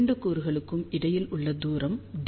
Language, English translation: Tamil, This particular element is at a distance of d